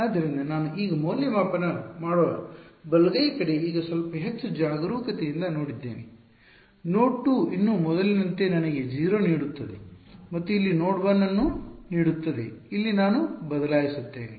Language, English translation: Kannada, So, the right hand side which I evaluate now which now that I have done a little bit more carefully node 2 still gives me 0 as before and node 1 over here this is what I will replace over here ok